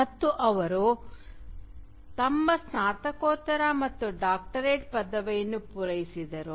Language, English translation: Kannada, And there he completed his Masters as well as his Doctorate